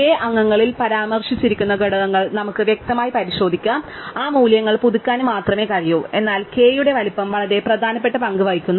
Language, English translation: Malayalam, We can explicitly look up those elements mentioned in members of k and only update those values, but size of k actually places in much more important role